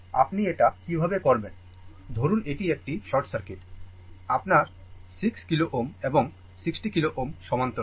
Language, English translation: Bengali, Suppose this is short circuit; this is short circuit right, then 6 kilo ohm and 60 kilo ohm are in parallel right